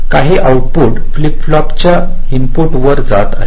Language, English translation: Marathi, o, some outputs are going to the input of the flip flop